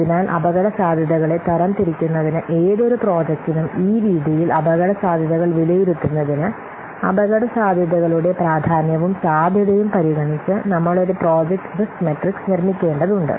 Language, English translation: Malayalam, So in this way for any given project in order to classify the risks, in order to evaluate the risk, we have to construct a project matrix matrix by considering the importance of the risk and the possibility or the probability or the likelihood of the risk that they will occur